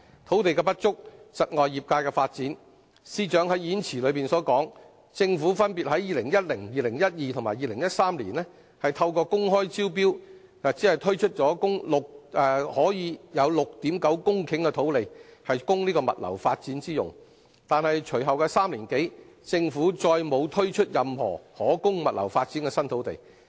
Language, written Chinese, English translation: Cantonese, 土地的不足，窒礙業界發展，司長在演辭中說，政府分別在2010年、2012年及2013年透過公開招標，只推出了 6.9 公頃土地供物流發展之用。但是，隨後3年多，政府再沒有推出任何可供物流發展的新土地。, As stated by the Financial Secretary in the Budget speech the Government has sold a total of 6.9 hectares of land by open tender in 2010 2012 and 2013 respectively for logistics development but it has released no more logistic sites to the market in the following three - odd years